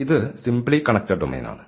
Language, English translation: Malayalam, So, this is the simply connected domain